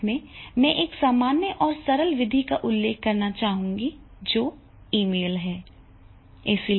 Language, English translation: Hindi, And the last I would like to mention which is very, very common and simple, that is the email